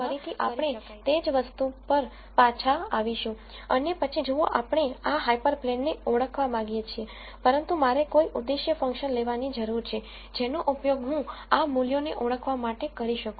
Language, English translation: Gujarati, So, here again we come back to the same thing and then we say look we want to identify this hyper plane, but I need to have some objective function that I can use to identify these values